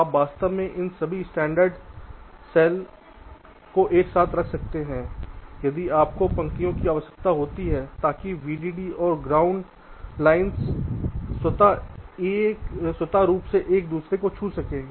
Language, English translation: Hindi, this is the main advantage, so you can actually put all these standard cells side by side if you require, in rows, so then vdd and ground lines will automatically touch each other so they will get the power connections from their right